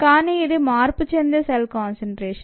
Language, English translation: Telugu, but this is viable cell concentration